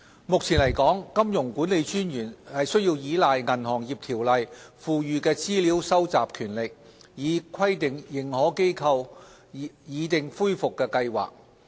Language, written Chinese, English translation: Cantonese, 目前來說，金融管理專員須倚賴《銀行業條例》賦予的資料蒐集權力，以規定認可機構擬訂恢復計劃。, To date the Monetary Authority MA has relied on the information gathering power under the Banking Ordinance to require authorized institutions AIs to prepare recovery plans